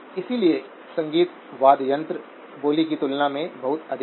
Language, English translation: Hindi, So musical instruments go much higher than speech